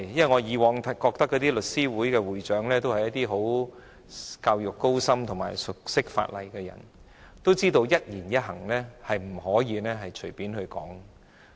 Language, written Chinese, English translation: Cantonese, 我以往覺得律師會會長都是一些受過高深教育及熟悉法例的人，知道說話不可以太隨便。, I used to think that Presidents of The Law Society of Hong Kong are well - educated people familiar with the law who understand that they cannot be too casual with what they say